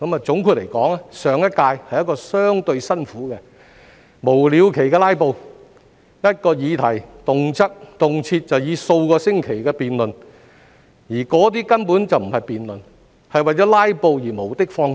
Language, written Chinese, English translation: Cantonese, 總括而言，上一屆的工作是相對辛苦的，由於有議員無了期的"拉布"、一項議題動輒辯論數個星期，而那些根本不是辯論，只是為了"拉布"而無的放矢。, 2012 . In summary the work of the last term was relatively hard given the endless filibuster by some Members and it took weeks for the debate on one single issue to come to a close . Well they were not debating but merely filibustering then by talking nonsense at meetings